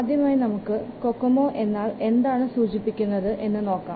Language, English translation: Malayalam, So let's first see what does cocomo stands for